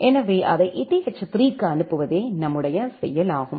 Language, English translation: Tamil, So, the action is to forward it to eth3